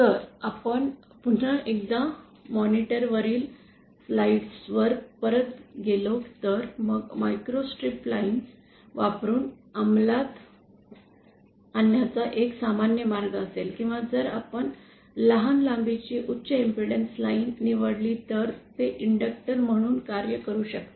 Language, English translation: Marathi, Now if we go once again back to the slides on the monitor, then one common way of implementing a microstrip line would beÉ Or if we choose a high impedance line of short length, then it can act as an inductor